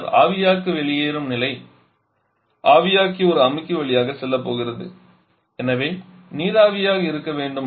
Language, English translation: Tamil, Then the evaporator exit state, the evaporator exit state as evaporator is going to pass through a condenser sorry pass through a compressor so must be vapour